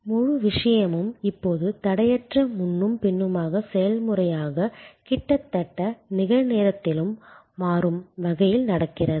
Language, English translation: Tamil, The whole thing happens now as a seamless back and forth process in almost real time and dynamically